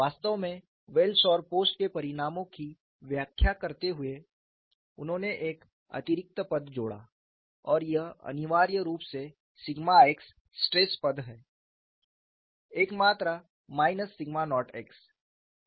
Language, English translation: Hindi, In fact, while interpreting the results of Wells and Post, he added an extra term and this is to essentially the sigma x stress term quantity minus sigma naught x